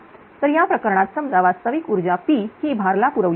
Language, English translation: Marathi, So, in that case assume that a load is supplied with a real power P